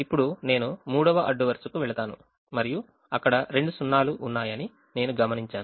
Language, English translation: Telugu, now i go to the third row and i observe that there are two zeros, so i won't make an assignment